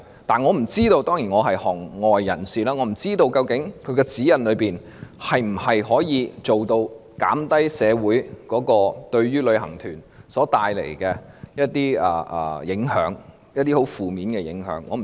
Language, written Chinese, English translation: Cantonese, 當然，我是一名外行人，不知道指引能否做到減輕旅行團為社會所帶來的影響，特別是一些十分負面的影響。, Surely as a layman I do not know if the guidelines can alleviate the impacts especially negative impacts on society posed by tour groups